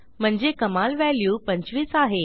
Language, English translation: Marathi, So the maximum value is 25